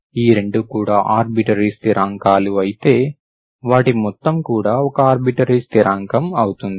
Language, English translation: Telugu, So if both are arbitrary constants, together is also an arbitrary constant